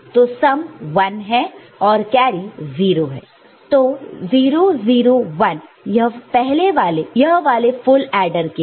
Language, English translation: Hindi, So, sum is 0 this carry is 1 so, this 1 0 0 for the full adder